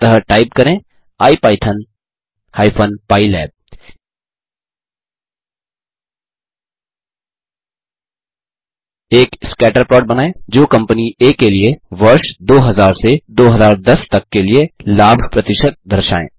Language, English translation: Hindi, Before we proceed further , start your IPython interpreter So type ipython hypen pylab Plot a scatter plot showing the percentage profit of a company A from the year 2000 2010